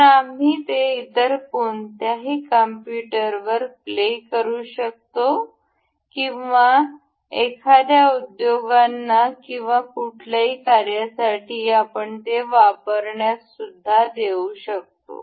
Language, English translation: Marathi, So, that we can play it on any other computer or we can lend it to someone, so some industry or anything